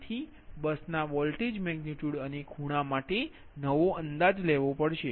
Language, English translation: Gujarati, so the new estimates for ah bus voltage, magnitude and angles are it